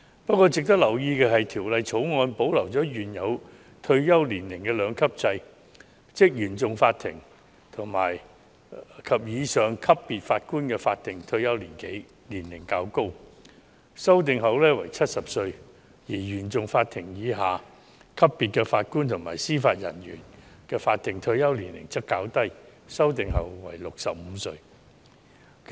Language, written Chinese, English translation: Cantonese, 不過，值得留意的是，《條例草案》保留了原有的退休年齡兩級制，即原訟法庭及以上級別法官的法定退休年齡較高，修訂後為70歲；而原訟法庭以下級別法官及司法人員的法定退休年齡則較低，修訂後為65歲。, However it is worth noting that under the Bill the two - tier retirement age system will be retained ie . Judges at the Court of First Instance CFI level and above will have a higher statutory retirement age at 70 while Judges and Judicial Officers JJOs below the CFI level will have a lower statutory retirement age at 65